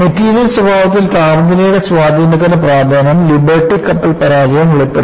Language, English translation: Malayalam, And Liberty ship failure brought out the importance of temperature effect on material behavior